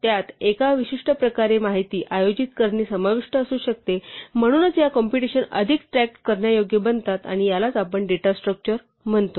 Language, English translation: Marathi, It could involve organizing the information in a particular ways, so these computations become more tractable and that is what we call a data structure